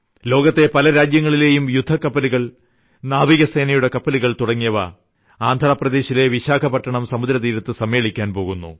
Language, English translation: Malayalam, Warships, naval ships of many countries are gathering at the coastal region of Vishakapatnam, Andhra Pradesh